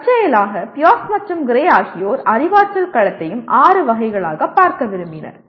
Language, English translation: Tamil, Incidentally Pierce and Gray preferred to look at the Cognitive Domain also as six categories